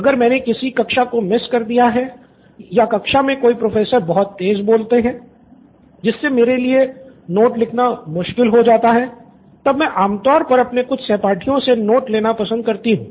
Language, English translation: Hindi, It is generally a two way process if I have missed a class or say for example if Professor speaks too fast then it is difficult for me to take down notes then I generally prefer taking notes from few of my classmates